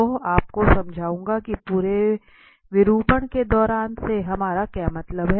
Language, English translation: Hindi, So, I will explain you what do we mean by and throughout the deformation